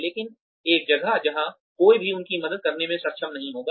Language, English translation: Hindi, But, in a place, where nobody will be able to help them